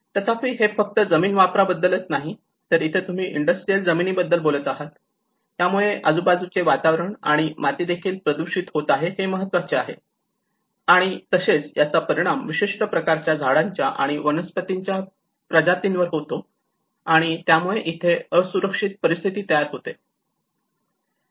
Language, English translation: Marathi, However, not only that it will also go with the land use like imagine you would talk about a industrial land use and how it can pollute the surrounding soil nature, that is also an important, and it will affect certain species of trees and flora and fauna, this how the result into the unsafe conditions